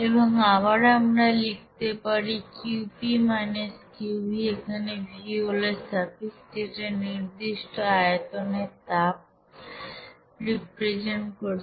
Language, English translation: Bengali, And again we can write Qp – Qv, this v is in actually suffix which represents this heat at constant volume